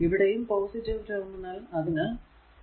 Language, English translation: Malayalam, Then again it is encountering plus terminal so, 2 v 0